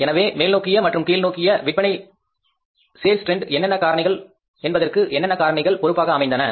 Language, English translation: Tamil, So, what were the factors responsible for that kind of the ups and downs in the sales